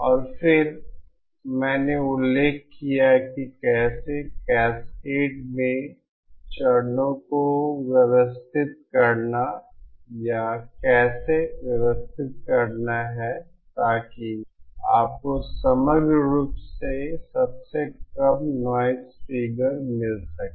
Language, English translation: Hindi, And then I mentioned how to how to adjust or how to arrange stages in cascades so that you get the lowest noise figure overall